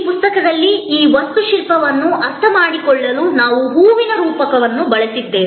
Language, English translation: Kannada, In this book, we have used a metaphor of a flower to understand this architecture